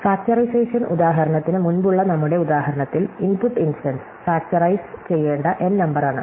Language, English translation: Malayalam, So, in our example before the factorization example, the input instance is the number N to be factorized